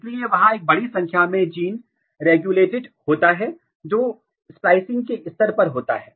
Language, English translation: Hindi, So, there are a large number of gene regulation occurs at the level of splicing